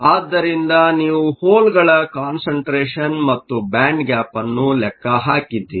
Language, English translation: Kannada, So, you have calculated the hole concentration and also the band gap